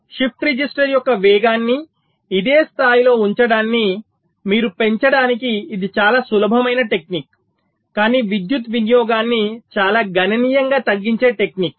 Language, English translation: Telugu, so this is one very simple technique which you can use to increase the ah, to keep the speed of the shift register at this same level but to reduce the power consumption quite significantly